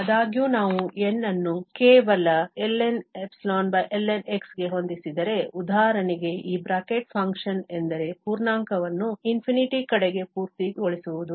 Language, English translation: Kannada, However, if we set N to just ln divided by ln, for instance, where this bracket function means rounding the integer towards the infinity